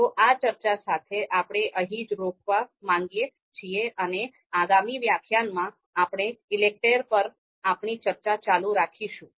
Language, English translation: Gujarati, So with this much discussion, we would like to stop here and in the next lecture, we will continue our discussion on ELECTRE